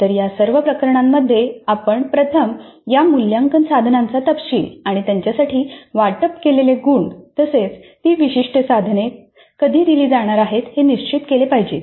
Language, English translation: Marathi, So in all these cases we must finalize first the details of these assessment instruments and the marks allocated for them as well as the schedule when that particular instrument is going to be administered